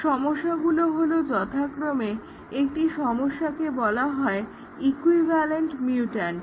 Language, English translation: Bengali, One problem is called as equivalent mutants